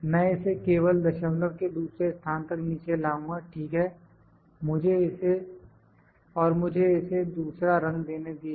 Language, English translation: Hindi, I will just bring it down to the second decimal place, decimals, ok, and let me give it a different colour